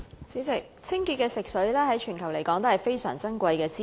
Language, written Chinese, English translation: Cantonese, 主席，清潔的食水，在全球來說都是非常珍貴的資源。, President clean fresh water is very precious resources to the whole world